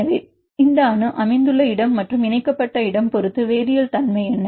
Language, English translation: Tamil, So, what is the chemical nature, where this atom is located and where is connected right